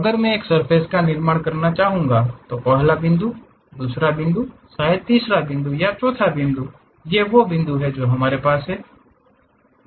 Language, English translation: Hindi, If I would like to construct a surface first point, second point, perhaps third point fourth point these are the points we have